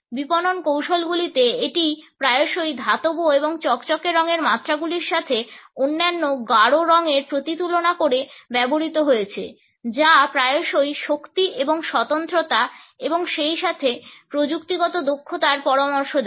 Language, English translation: Bengali, In marketing strategies, it has often been used in metallic and glossy shades often contrasted with other bold colors for suggesting power and exclusivity as well as technical competence